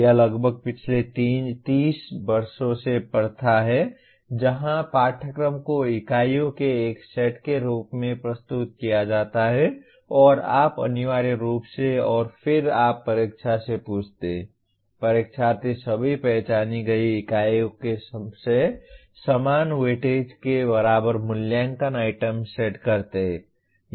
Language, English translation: Hindi, This has been the practice for almost last 30 years where syllabus is presented as a set of units and you essentially and then you ask the examination, the examiners to set assessment items equally of equal weightage from all the identified units